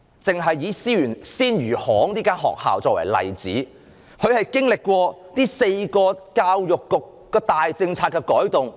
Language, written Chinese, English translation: Cantonese, 政府只是以鮮魚行學校作為例子，這間學校經歷了教育局4項大政策改動。, The Government has only used the Fish Traders School as an example . The school has already experienced four major policy changes of the Education Bureau